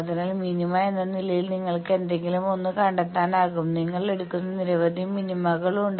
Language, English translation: Malayalam, So, you can find out any one as the minima there are several minima's any one you take